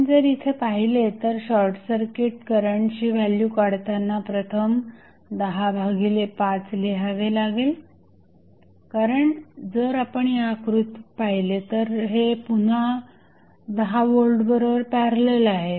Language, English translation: Marathi, So, if you see here the value of short circuit current is given by first 10 divided by 5 because if you see this figure this is again in parallel with 10 volt